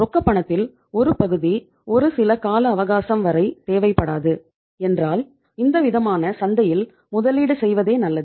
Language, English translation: Tamil, If you donít require certain amount of the cash for that given period of time, itís better to invest that in the market